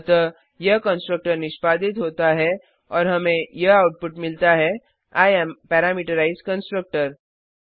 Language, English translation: Hindi, So this constructor is executed and we get the output as I am Parameterized Constructor